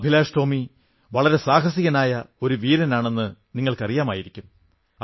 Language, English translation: Malayalam, You know, AbhilashTomy is a very courageous, brave soldier